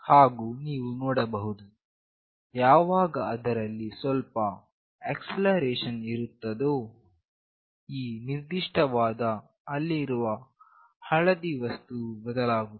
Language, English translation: Kannada, And you see that whenever there is some acceleration, this particular yellow thing that is there it changes